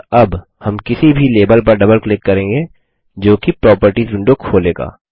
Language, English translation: Hindi, And now, we will double click on any label which in turn will open the Properties window